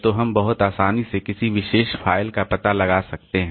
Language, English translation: Hindi, So, we can very easily locate a particular file